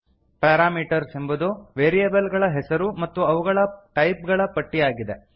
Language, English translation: Kannada, parameters is the list of variable names and their types